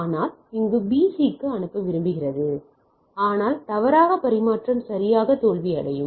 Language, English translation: Tamil, But here B wants to sends to C, but mistakenly things that the transmission will fail right